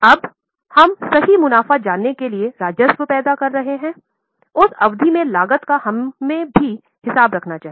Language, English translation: Hindi, To know the correct profits, we should also account for costs in that period